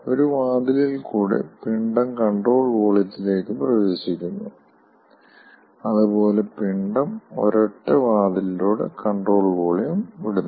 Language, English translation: Malayalam, mass is entering to the control volume through one opening and mass is leaving the control volume through a single opening